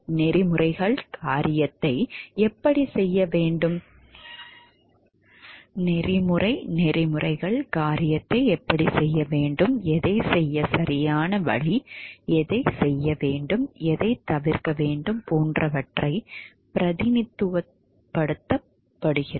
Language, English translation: Tamil, Codes of ethics is represents like how thing should be done what is the right way to do the things, what should be done what should be avoided etcetera